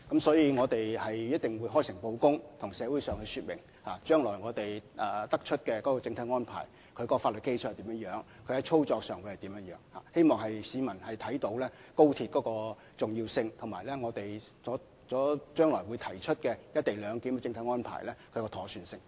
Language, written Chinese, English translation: Cantonese, 所以，我們一定會開誠布公，向社會說明將來我們得出的整體安排、法律基礎及操作方面的細節，希望市民明白高鐵的重要性，以及我們致力為將來的"一地兩檢"提出妥善的安排。, Therefore we will certainly act in an open and transparent manner by giving an account to the community of the overall arrangement that we will come up with in future as well as the legal basis and the operational details in the hope that the public will appreciate the importance of XRL and the proper arrangements we endeavour to put forward for the co - location arrangement in future